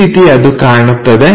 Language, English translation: Kannada, So, it looks like that